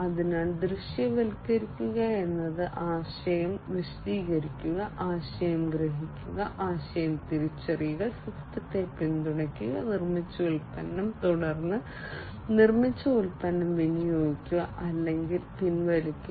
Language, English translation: Malayalam, So, visualize means ideation, ideation explaining the idea, perceiving the idea, realizing the idea, supporting the system, the product that is built, and then disposing or retiring the product, that is built